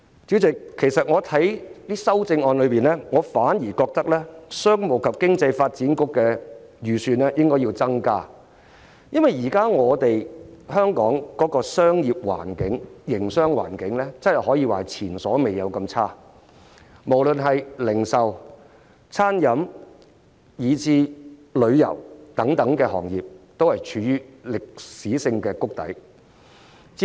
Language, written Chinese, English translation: Cantonese, 主席，其實我反而覺得應該提出修正案，增加商務及經濟發展局的預算，因為香港現時的營商環境可說是前所未有般惡劣，不論是零售、餐飲，以至旅遊等行業，皆處於歷史性谷底。, Chairman instead I think an amendment should be proposed to increase the budget of the Commerce and Economic Development Bureau because the business environment in Hong Kong has never been worse . Various industries such as the retail catering and tourism industries have hit rock bottom